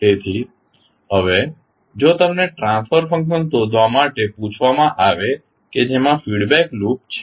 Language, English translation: Gujarati, So, now if you are asked to find out the transfer function which is a having feedback loop